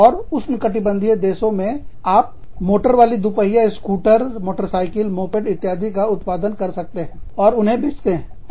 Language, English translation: Hindi, And, in say the, or in the tropical countries, you could be manufacturing, motorized two wheelers, scooters, motorbikes, mopeds, etcetera